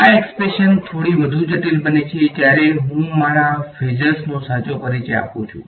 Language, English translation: Gujarati, This expression gets a little bit more complicated when I introduce my phasors right